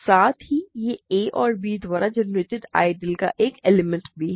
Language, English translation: Hindi, It is also simultaneously an element of the ideal generated by a and b